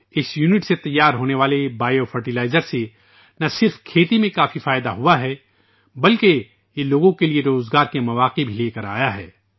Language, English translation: Urdu, The biofertilizer prepared from this unit has not only benefited a lot in agriculture ; it has also brought employment opportunities to the people